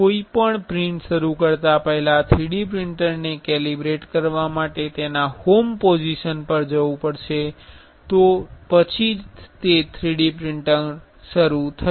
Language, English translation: Gujarati, Before starting any print the 3D printer has to go to his home position to calibrate then only it will start the 3D printing